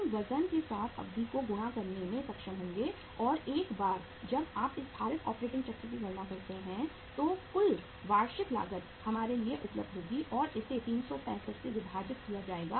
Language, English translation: Hindi, We will be able to multiply the duration with the weights and once you uh calculate the this weighted operating cycle then the total annual cost will be available to us and that will be divided by 365